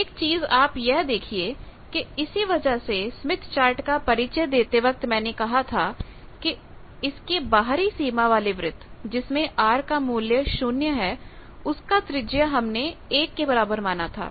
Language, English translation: Hindi, So, 1 you see that is why while introducing Smith Chart I said that, your radius of the outer boundary that outer circle which corresponds to r bar is equal to 0 circle that radius we consider as 1